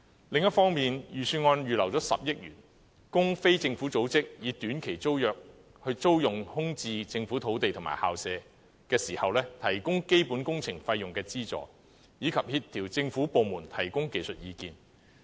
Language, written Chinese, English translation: Cantonese, 另一方面，預算案預留了10億元，供非政府組織以短期租約租用空置政府土地及校舍時，提供基本工程費用資助，以及協調政府部門提供技術意見。, Meanwhile the Budget has set aside 1 billion to subsidize the costs of basic works and coordinate the efforts of government departments in providing technical advice for non - governmental organizations renting vacant government sites or school premises on short - term tenancies